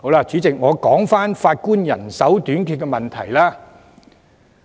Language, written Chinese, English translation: Cantonese, 主席，我說回法官人手短缺的問題。, President I come back to the issue of shortage of Judges